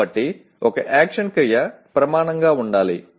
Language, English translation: Telugu, So one action verb should be the norm